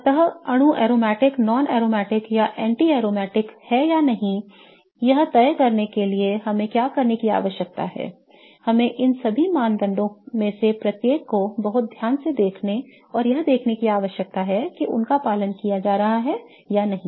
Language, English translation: Hindi, So, what we need to do in order to decide if a molecule is aromatic, non aromatic or anti aromatic is that we need to look at each one of these criteria very carefully and see if they are being followed or not